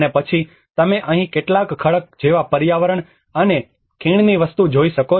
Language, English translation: Gujarati, And then you can see some cliff kind of environment here and a valley sort of thing